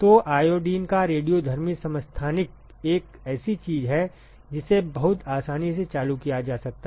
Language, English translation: Hindi, So, the radioactive isotope of iodine is something which can be very easily triggered